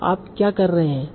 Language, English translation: Hindi, So what you are doing